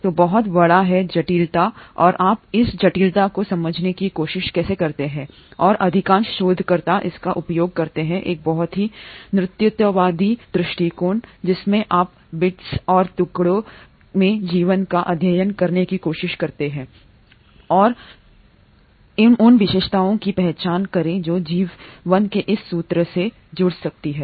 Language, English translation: Hindi, So there is a huge complexity and how do you try to understand this complexity, and most of the researchers use a very reductionist approach, wherein you try to study life in bits and pieces and try to identify the unifying features which can connect to this thread of life